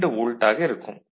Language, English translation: Tamil, 5 volt that makes 2